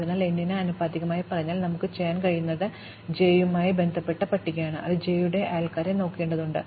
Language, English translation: Malayalam, So, if m is say proportional to n itself, then what we can do is in the list associated with j, which just have to look at the neighbors of j